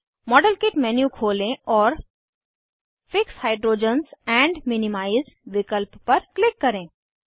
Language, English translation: Hindi, Open the modelkit menu and click on fix hydrogens and minimize option